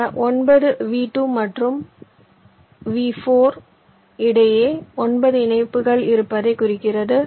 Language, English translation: Tamil, this nine indicates there are nine connections between v two and v four